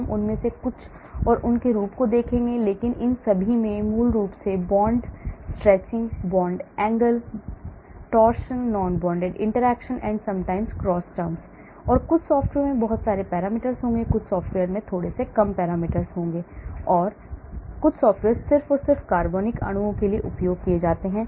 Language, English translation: Hindi, we will look at some of them and their form, but all of them will have basically the terms connected to bond stretching, bond angle, torsion, non bonded interaction and sometimes cross terms, and some software will have lot of parameters, some software will have less parameters, some software are used predominantly for organic molecules